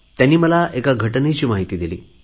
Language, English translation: Marathi, She has made me aware of an incident